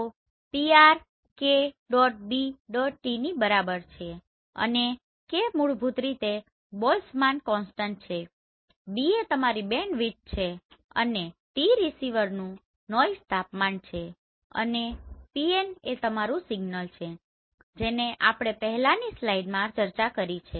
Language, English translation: Gujarati, So PR is basically your kBT right and K is basically Boltzmann constant, B is your bandwidth and T is receiver’s noise temperature and Pn is basically our signal that we have already discussed in the previous slide